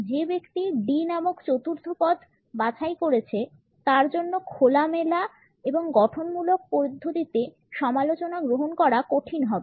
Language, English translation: Bengali, The person who is opted for the forth position named as D would find it difficult to accept criticism in an open and constructive manner